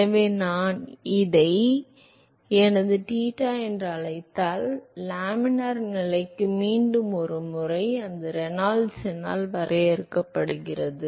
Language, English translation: Tamil, So, if I call this as my theta, for laminar condition once again it defined by the Reynolds number